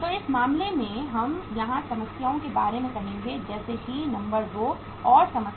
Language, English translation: Hindi, So uh in this case we will be taking about the problems here like say number 2 and problem number 3